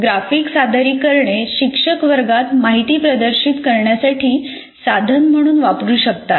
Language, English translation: Marathi, These graphic representations can be used by teachers as a means to display information in the classroom